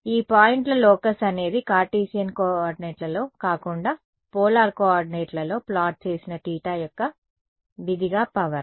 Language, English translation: Telugu, This locus of points is the power as a function of theta plotted in polar coordinates, not in Cartesian coordinates